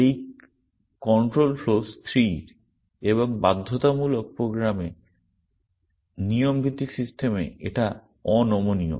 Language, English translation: Bengali, The control flow is fixed and rigid in imperative program, in rule based systems